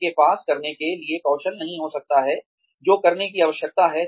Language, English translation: Hindi, They may not have the skills to do, what is required to be done